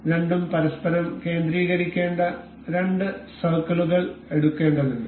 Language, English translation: Malayalam, So, the two we need to pick up two circles that need to be concentric over each other